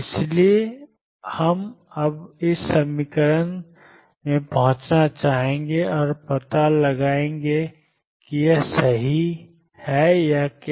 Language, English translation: Hindi, So, we will want to now kind of arrive at this equation and discover whether it is right or what